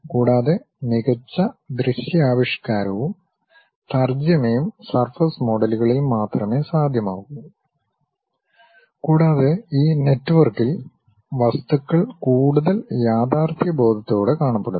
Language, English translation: Malayalam, And, better visualization and visualization and rendering is possible only on surface models and the objects looks more realistic in this network